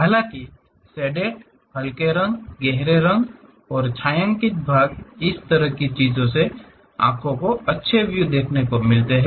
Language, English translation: Hindi, Although, the shaded portion like bright, light colors, dark colors this kind of things gives nice appeal to eyes